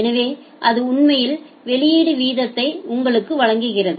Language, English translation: Tamil, So, that actually gives you the output rate